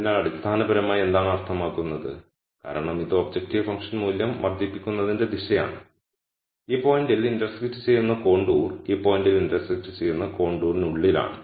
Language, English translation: Malayalam, So, basically what that means, is because this is the direction of increasing objective function value the contour intersecting this point is inside the contour intersect ing at this point